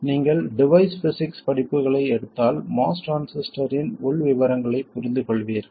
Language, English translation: Tamil, If you take courses in device physics you will understand the internal details of a MOS transistor